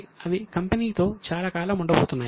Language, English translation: Telugu, They are going to be with a company for a long time